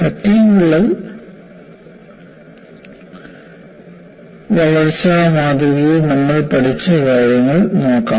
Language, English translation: Malayalam, We will look at what we learned in the fatigue crack growth model